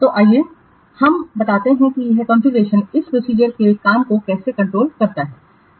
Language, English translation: Hindi, So, let us explain how this configuration control this process works